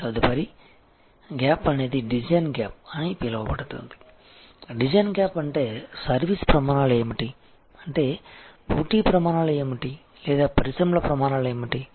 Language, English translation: Telugu, The next gap is call the design gap, the design gap means, what the service standards are; that means, what the competitive standards are or what the industries standards are